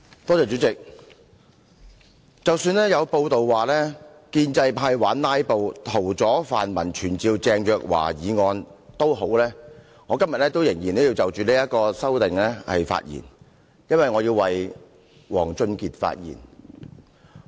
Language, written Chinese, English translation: Cantonese, 代理主席，即使有報道說建制派玩"拉布"，屠宰泛民傳召鄭若驊議案，我今天仍要就這項修正案發言，因為我要為王俊傑發言。, Deputy President although it has been reported that the pro - establishment camp intends to filibuster to stop pan - democrats from moving the motion on summoning Teresa CHENG I still wish to speak on this amendment because I need to speak for WONG Chun - kit